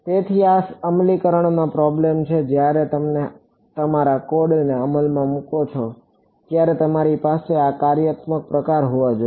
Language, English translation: Gujarati, So, these are implementation issues when you implement your code you should have this functionality